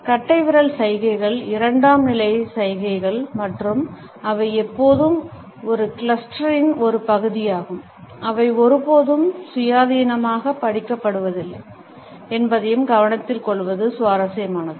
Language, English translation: Tamil, It is also interesting to note that thumb gestures are secondary gestures and they are always a part of a cluster, they are never independently read